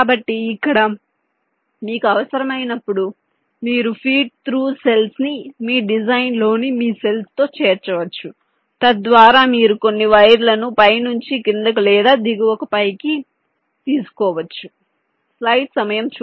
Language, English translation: Telugu, so, ah, so here, whenever required, you can include this feed through cells in your design, in your cells, so that you can take some words from the top to bottom or bottom to top, as required